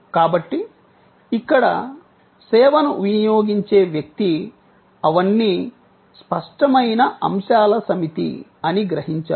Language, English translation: Telugu, So, everything that a person accessing the service here perceives, those are all set of tangible elements